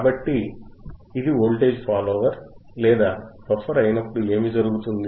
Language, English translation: Telugu, So, when it is a voltage follower or buffer, what will happen